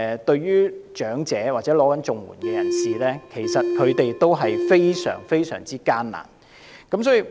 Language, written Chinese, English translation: Cantonese, 對長者或領取綜援的人士而言，生活真的非常艱難。, For elderly persons or CSSA recipients life is very hard indeed